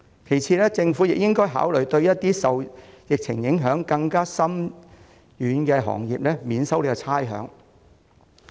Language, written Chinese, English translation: Cantonese, 其次，政府亦應該考慮向一些受疫情影響更深遠的行業提供差餉寬免。, Second the Government should also consider granting rates concession to those sectors which feel a more far - reaching impact of the epidemic